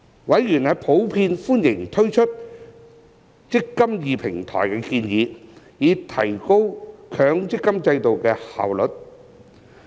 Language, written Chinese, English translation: Cantonese, 委員普遍歡迎推出"積金易"平台的建議，以提高強積金制度的效率。, Members in general welcome the proposal to launch the eMPF Platform to enhance the efficiency of the MPF System